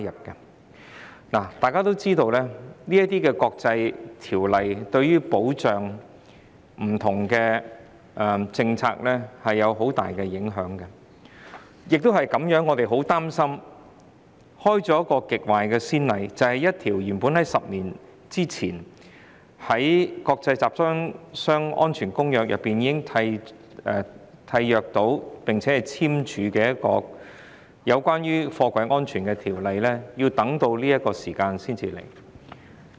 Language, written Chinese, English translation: Cantonese, 眾所周知，這些國際公約對於保障不同的政策有很大影響，亦因此我們很擔心會開了極壞的先例，便是一項原本於10年前在《公約》會議中已簽署、有關貨櫃安全的決議，我們要到這個時間才處理。, As everyone knows these international conventions have significant implications for protecting different policies . We are thus very worried that this may set a bad precedent . That is we have to wait till now to consider a resolution on container safety which was signed 10 years ago at the Convention conference